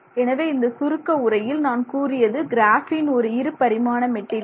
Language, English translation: Tamil, So, in summary, I would like to say that, you know, graphene is a two dimensional nanomaterial